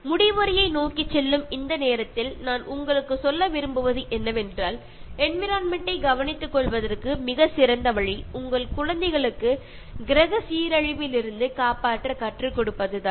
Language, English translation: Tamil, Now, towards the conclusion I would like to tell you that being considerate to the environment it is the best way to teach your children to save the planet from deterioration